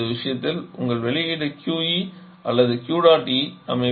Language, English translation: Tamil, Your output remains the same output in this case is this QE or Q dot E